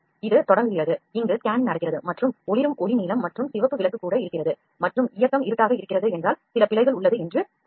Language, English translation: Tamil, This is starting, this is operating the scanning is happening and if the light of flashing light is blue and red light is also there and the movement of movement is dark that means some error is there